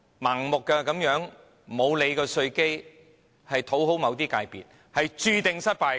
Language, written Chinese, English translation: Cantonese, 盲目地忽視稅基問題以討好某些界別，只會注定失敗。, If it continues to turn a blind eye to the problem of narrow tax base in order to please certain sectors it is doomed to failure in the end